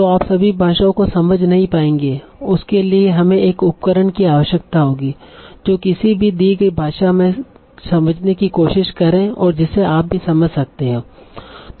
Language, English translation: Hindi, So you will not be able to understand all the languages and you will need a tool that can take any given language and try to put it in the language that you can understand